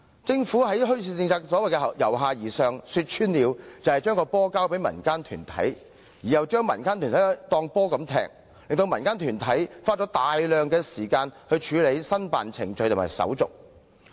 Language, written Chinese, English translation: Cantonese, 政府在墟市政策上的所謂"由下而上"，說穿了就是把"球"交給民間團體，同時把民間團體像球一樣踢來踢去，令民間團體花大量時間在申辦程序及手續上。, To put it bluntly the Governments so - called bottom - up approach in the implementation of the bazaar policy is to pass the buck to community organizations and then kick the organizations around like a ball making them spend a lot of time on the application procedures